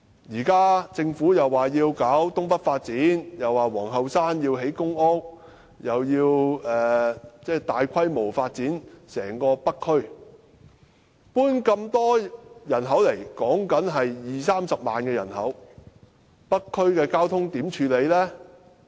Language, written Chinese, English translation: Cantonese, 現時政府說要搞東北發展，又說要在皇后山興建公屋，又要大規模發展整個北區，遷進那麼多人口，說的是二三十萬人口，北區的交通問題如何處理呢？, The Government now talks about the North East New Territories development the construction of public housing at Queens Hill and a massive development of the whole North District . This will lead to the inflow of many people about 200 000 to 300 000 people so how are we going to deal with the traffic problem in the North District?